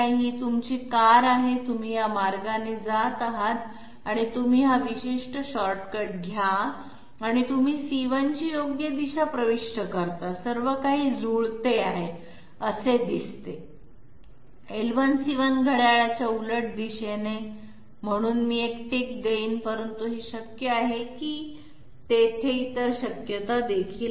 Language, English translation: Marathi, This is your car, you are moving this way and you take this particular you know shortcut and you enter the correct direction of C1, everything seems to match, L1 C1 counterclockwise path, so this I will give a tick, but is it possible that there are other possibilities also